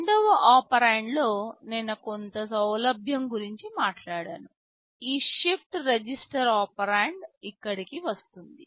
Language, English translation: Telugu, I talked about some flexibility in the second operand, you see here this shifted register operand comes in